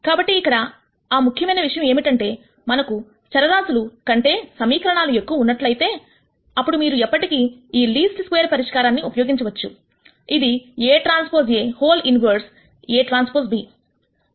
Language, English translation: Telugu, So, the important point here is that if we have more equations than variables then you can always use this least square solution which is a transpose A inverse A transpose b